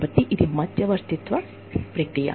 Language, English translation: Telugu, So, this is the mediation process